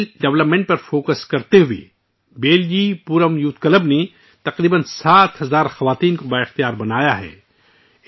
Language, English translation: Urdu, Focusing on skill development, 'Beljipuram Youth Club' has empowered around 7000 women